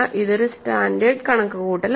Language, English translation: Malayalam, This is a standard calculation